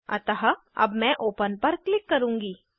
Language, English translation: Hindi, So, now I will click on Open